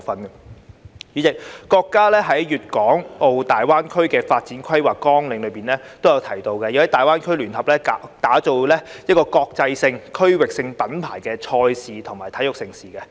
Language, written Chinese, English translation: Cantonese, 代理主席，國家在《粵港澳大灣區發展規劃綱要》提出，要在大灣區聯合打造國際性、區域性品牌賽事和體育盛事。, Deputy President the State has proposed in the Outline Development Plan for the Guangdong - Hong Kong - Macao Greater Bay Area to jointly create international and regional brand events and sports events in GBA